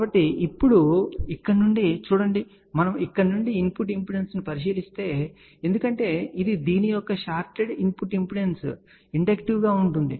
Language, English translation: Telugu, So, now, we looking from here if we look at the input impedance from here since this is a shorted input impedance of this will be inductive